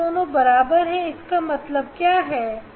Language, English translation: Hindi, both are equal what does it mean